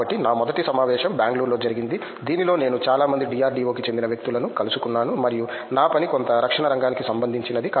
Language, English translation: Telugu, So, my first conference was in Bangalore in which I met a lot of DRDO people and my work is related to somewhat defense